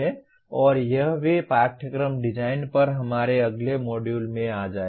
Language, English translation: Hindi, And also it will come in our next module on Course Design